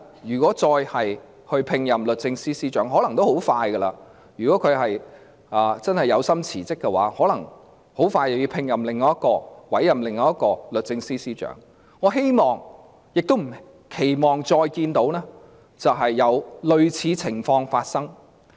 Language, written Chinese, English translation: Cantonese, 如果將來再度委任律政司司長——如果鄭若驊的確有心辭職，可能很快便要委任另一位律政司司長——我希望不會再有類似情況發生。, If another Secretary for Justice is to be appointed―if Teresa CHENG really wants to resign the Government may soon have to appoint her successor―I do not want to see the same mistakes happen again